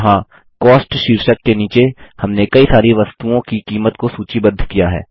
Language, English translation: Hindi, Here, under the heading Cost, we have listed the prices of several items